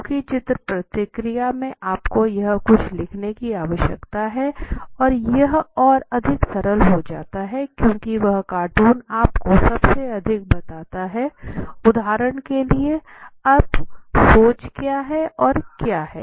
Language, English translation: Hindi, Because in the picture response you need to write something here it become more simple because that cartoon tells you most of thing for example now what is the thinking or what is